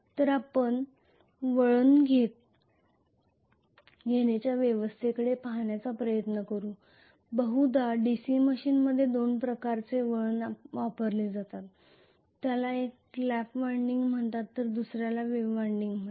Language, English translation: Marathi, So we will try to look at the winding arrangements likely there are 2 types of winding that are used in DC machine one is called Lap winding the other one is called Wave winding